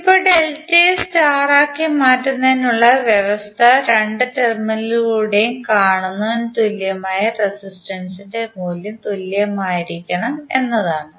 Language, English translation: Malayalam, Now, the condition for conversion of delta into star is that for for the equivalent resistance seen through both of the terminals, the value of equivalent resistances should be same